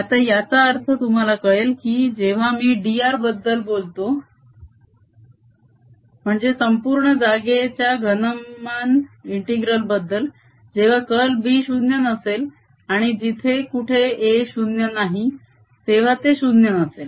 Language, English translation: Marathi, now you see it make sense when i talk about d r, which is the volume integral over the entire space, that it'll be non zero wherever curl of b is non zero and where are wherever a is non zero